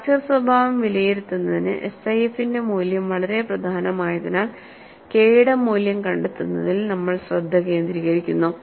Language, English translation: Malayalam, And as the value of SIF is very important to assess the fracture behavior, we focus on finding out the value of K